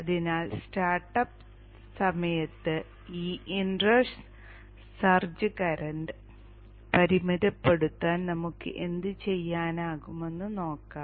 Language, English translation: Malayalam, So let us see what we can do to limit this inrush search current at the time of start up